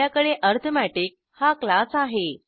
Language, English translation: Marathi, Then we have class arithmetic